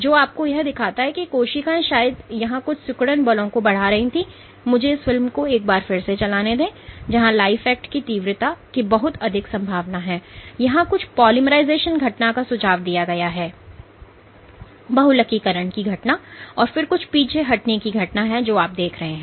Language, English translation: Hindi, So, this shows you that the cells were perhaps exerting some contractile forces here, let me play ones this movie once more there is lot of intensity of life act here suggesting some polymerization event and then some retraction this is a retraction event which you see